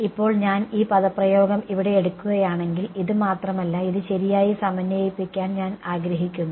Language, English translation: Malayalam, Now if I take this expression over here its not just this that I want I want to integrate it right